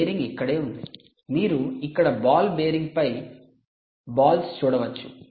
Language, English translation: Telugu, you can see the balls on the ball bearing here